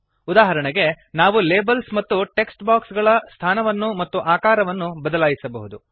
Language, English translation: Kannada, For example, we can change the placement and size of the labels and text boxes